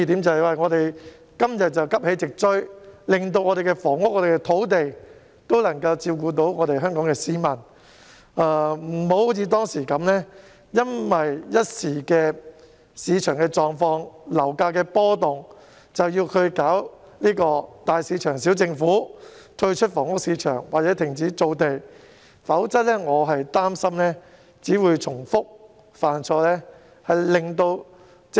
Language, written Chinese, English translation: Cantonese, 即是說今天我們應急起直追，讓房屋和土地發展能照顧香港市民的需要，而非如當時般因一時的市場狀況和樓價波動而推動"大市場、小政府"，退出房屋市場或停止造地，否則我擔心只會重蹈覆轍。, In other words we should catch up today so that the housing and land development can cater to the needs of Hong Kong people rather than as we did back then promote big market small government exit the housing market or cease land formation due to market conditions and housing price fluctuations in a certain period . Otherwise I am afraid we will only repeat past mistakes